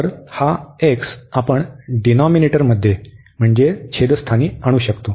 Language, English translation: Marathi, So, this x we can bring to the denominators